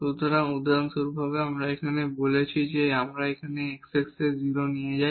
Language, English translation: Bengali, So, for example, we said here we take here x is equal to 0